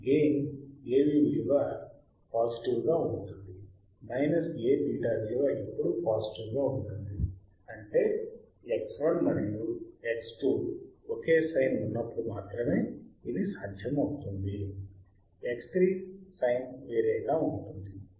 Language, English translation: Telugu, As A V is positive, minus A betaV will be also be positive because A V is positive here right; only when X 1 and X 2 will have same sign; while X 3 will have a different sign right